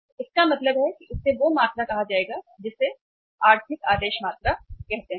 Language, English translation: Hindi, So it means this will be called as the quantity which is called as the economic order quantity